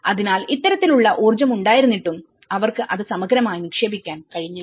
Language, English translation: Malayalam, So, despite of having this kind of energy, we are unable to, they were unable to invest that in holistically